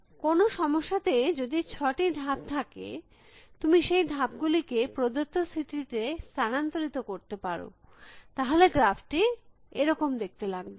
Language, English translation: Bengali, So, if some problem has some 6 moves, you can move in moves you can make in given state then the graph would look like that